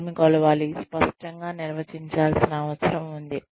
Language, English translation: Telugu, What to measure, needs to be clearly defined